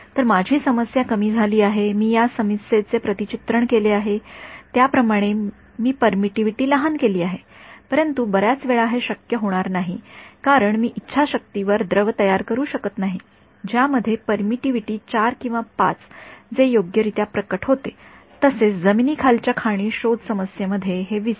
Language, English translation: Marathi, So, my problem has become lesser I have mapped it sort of this problem I made the permittivity smaller ok, but many times this is not going to be possible because I cannot produce at will a liquid which has permittivity 4 or 5 hardly it reveal right, moreover in the landmine detection problem, forget it